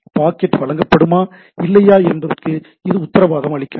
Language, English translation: Tamil, It does not guarantee that the packet will be delivered or not